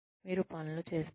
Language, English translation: Telugu, You do things